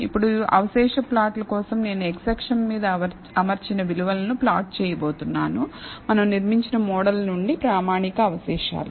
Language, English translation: Telugu, Now, for the residual plot, I am going to plot fitted values on the x axis and the standardized residual from the model we have built